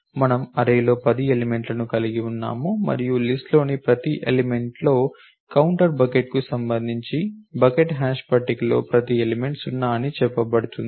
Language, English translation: Telugu, We have 10 elements in the array and the counter in every element in the list every element of the bucket hash table corresponding to the bucket is said to 0